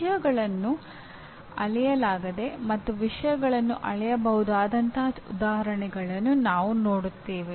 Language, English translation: Kannada, We will see plenty of examples where things are not measurable, where things are measurable